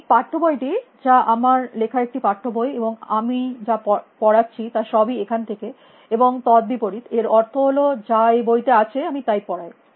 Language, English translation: Bengali, The text books as I said it is a text book which I have just written and everything that I am teaching is from there and vice versa in the sense what is there is what I teach